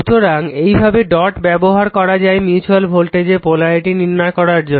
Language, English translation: Bengali, So, so this way dots are used to determine the polarity of the mutual voltage using this dot